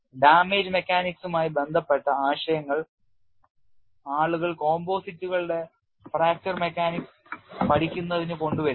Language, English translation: Malayalam, People bring in concepts related to damage mechanics into studying fracture mechanics of composites